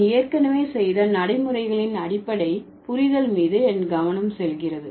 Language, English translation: Tamil, So, my focus is going to be on the basic understanding of pragmatics, which I have already done